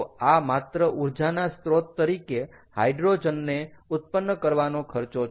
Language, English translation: Gujarati, so we have to spend energy first to get hydrogen and then use it as an energy source